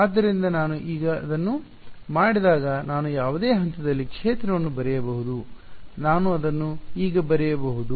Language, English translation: Kannada, So, when I do this now I can write down field at any point inside how can I write it now